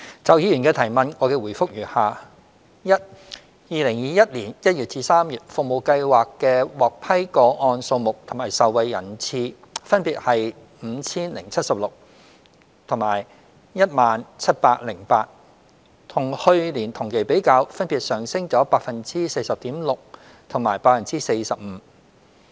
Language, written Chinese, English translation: Cantonese, 就議員的質詢，我的答覆如下：一2021年1月至3月，服務計劃的獲批個案數目及受惠人次分別為 5,076 及 10,708， 與去年同期比較，分別上升 40.6% 及 45%。, My reply to the Members question is as follows 1 From January to March 2021 the number of approved applications and beneficiaries receiving the service were 5 076 and 10 708 respectively representing increases of 40.6 % and 45 % respectively in comparison with those of the same period last year